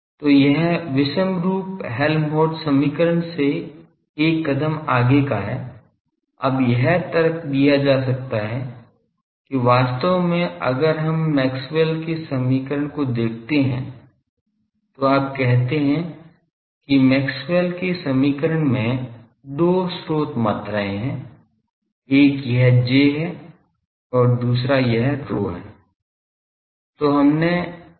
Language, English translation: Hindi, So, this is one step forward that inhomogeneous Helmholtz equation; now it can be argued that we had actually if we look at Maxwell’s equation, you say in Maxwell’s equation there are two source quantities, one is this J and another is this rho